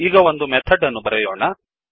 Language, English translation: Kannada, Let us now write a method